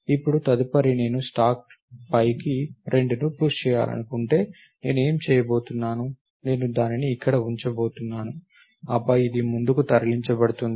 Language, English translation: Telugu, Now, next if I want to push 2 on to the stack what I am going to do is, I am going to put it here and then this will be moved forward